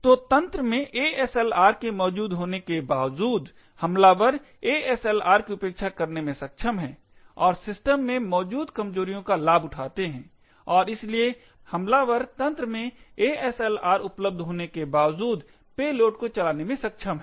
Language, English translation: Hindi, So, in spite of ASLR being present in the system, attackers have been able to bypass the ASLR and create exploits for vulnerabilities present in the system, and, therefore the attackers have been able to run payloads in spite of the ASLR enabled in the systems